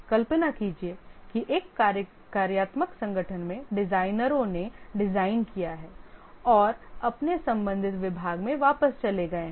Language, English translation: Hindi, Imagine that in a functional organization the designers have designed and they have gone back to their department, respective department